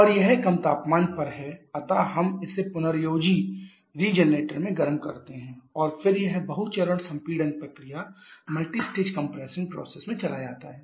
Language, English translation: Hindi, And it is being at a lower temperature so we heat it up in the regenerator and then it goes to multistage compression process